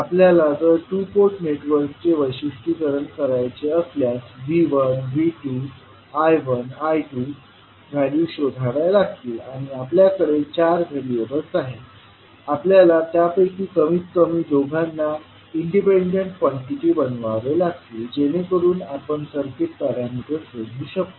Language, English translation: Marathi, If we want to characterize the two port network we have to find out the values of the V1, V2, I1, I2 or since we have four in variables at least out of that you have to make 2 as an independent quantity so that you can find out the circuit parameters